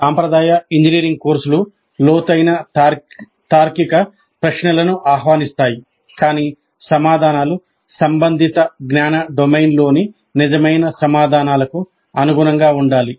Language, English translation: Telugu, The traditional engineering courses invite deep reasoning questions, but the answers must converge to true within court's in the relevant knowledge domain